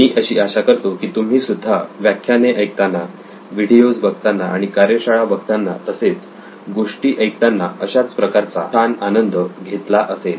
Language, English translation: Marathi, I hope you had the same kind of fun also listening to this, watching our workshops watching the lectures, listening to the stories as well